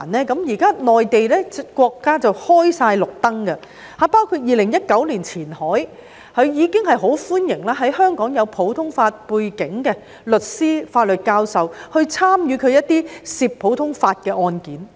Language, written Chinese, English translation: Cantonese, 國家現在綠燈全開了，包括2019年前海已很歡迎擁有普通法背景的香港律師和法律教授參與涉及普通法的案件。, The State has now given the full green light as exemplified by Qianhais warm welcome back in 2019 for Hong Kong lawyers and law professors with a common law background to take part in cases involving common law